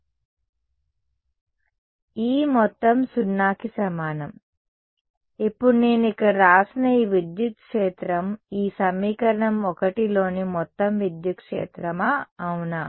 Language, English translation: Telugu, Right, E total is equal to 0 right; now this electric field that I have written over here is it the total electric field in this equation 1, is it